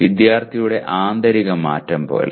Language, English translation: Malayalam, Something as internal change of the student